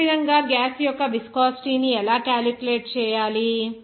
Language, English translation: Telugu, Similarly, the viscosity of gas, how to calculate